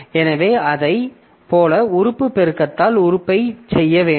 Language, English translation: Tamil, So like that I have to do element by element multiplication and do this